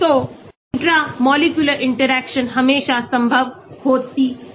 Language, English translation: Hindi, So, intramolecular interactions are always possible